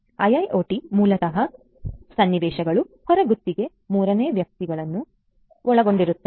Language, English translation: Kannada, IIoT basically scenarios, will involve out sourced third parties